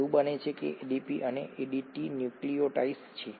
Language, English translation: Gujarati, It so happens that ADP and ATP are nucleotides